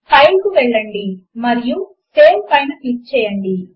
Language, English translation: Telugu, Go to File and click on Save